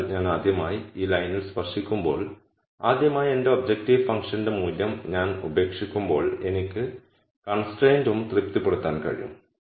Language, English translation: Malayalam, So, when I touch this line for the rst time is the point at which for the rst time, when I give up my objective functions value, I am also able to satisfy the constraint